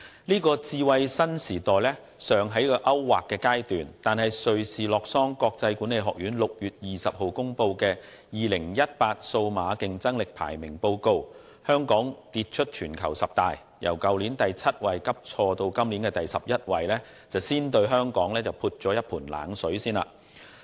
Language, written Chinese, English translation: Cantonese, 這個智慧新時代尚在勾劃的階段，但瑞士洛桑國際管理發展學院於6月20日公布的《2018年數碼競爭力排名報告》，香港卻跌出全球十大，由去年的第七位急挫至今年的第十一位，先對香港撥了一盆冷水。, While this new smart era is still at an initial stage Hong Kong fell out of top ten in the World Digital Competitiveness Ranking 2018 announced on 20 June by the International Institute for Management Development based in Lausanne Switzerland . Hong Kongs ranking slipped drastically from 7 last year to 11 this year throwing a cold blanket on Hong Kong